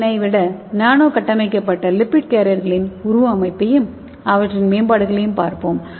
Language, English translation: Tamil, So let us see the morphology of the nano structured lipid carriers and their improvements over SLNs